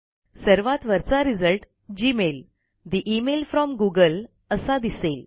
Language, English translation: Marathi, We see that the top result is for gmail, the email from google